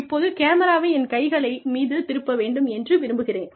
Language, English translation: Tamil, Now, i would like the camera to focus, on my hands